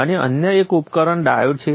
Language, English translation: Gujarati, Another device is a diode